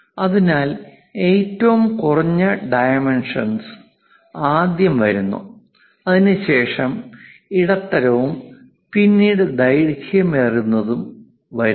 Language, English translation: Malayalam, So, lowest dimension first comes then followed by medium and longest one